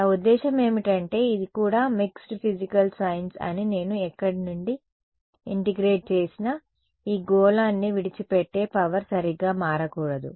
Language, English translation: Telugu, No matter where what I mean this is also mixed physical sense no matter where I integrate from, the power leaving this sphere should not change right